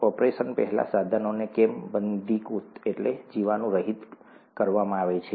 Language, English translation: Gujarati, Why are instruments sterilized before an operation